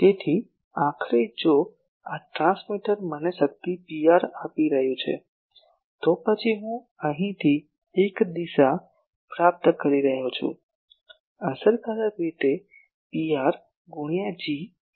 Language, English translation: Gujarati, So, ultimately if this transmitter is giving me power Pr then I am getting a power from here in this direction effectively as Pr into G